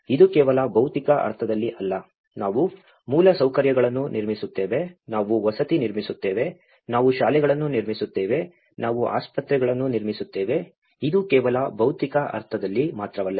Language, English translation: Kannada, It is not just in the physical sense, you know that we build infrastructure, we build housing, we build the schools, we build hospitals, this is not just only in the physical sense